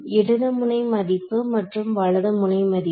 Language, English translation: Tamil, Left node value I called as 1 right node value I called as 2